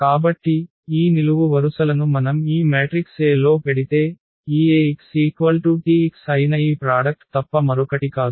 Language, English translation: Telugu, So, these columns if we put into this matrix A then this Ax will be nothing but exactly this product which is the T x